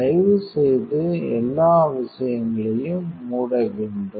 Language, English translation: Tamil, Please close all the things